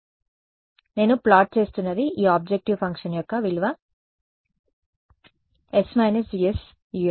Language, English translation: Telugu, So, what I am plotting is the value of this objective function s minus G s U x